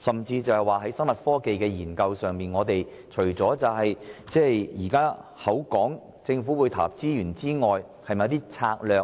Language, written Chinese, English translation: Cantonese, 至於生物科技的研究方面，政府除了投入資源外，是否會推行一些相關策略？, As to the research on biotechnology will the Government take forward relevant strategies in addition to putting in resources for this purpose?